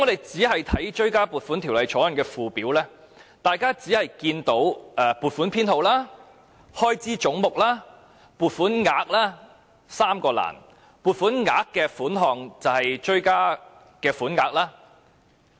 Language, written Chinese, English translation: Cantonese, 在《條例草案》的附表，大家只看到"撥款編號"、"開支總目"及"撥款額 "3 個欄目，"撥款額"一欄的款項就是追加款額。, In the Schedule to the Bill there are only three columns Number of Vote Head of Expenditure and Amount of Vote . The Amount of Vote column contains the supplementary appropriations